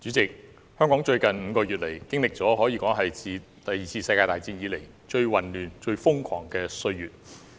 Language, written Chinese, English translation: Cantonese, 主席，香港在最近5個月，經歷了可說自第二次世界大戰後最混亂、最瘋狂的歲月。, President in the past five months Hong Kong might have possibly experienced its most chaotic and frantic days since the Second World War